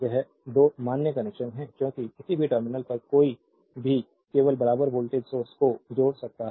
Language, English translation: Hindi, This two are valid connection because any across any terminal, you can only connect the equal voltage source